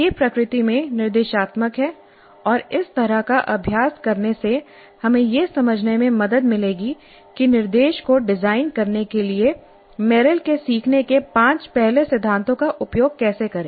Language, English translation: Hindi, It is prescriptive in nature and doing this kind of an exercise would help us to understand how to use Merrill's five first principles of learning in order to design instruction